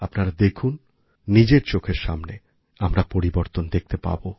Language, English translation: Bengali, You'll see, we will find change occurring in front of our own eyes